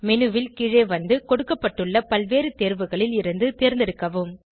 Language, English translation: Tamil, Scroll down the menu and choose from the various options provided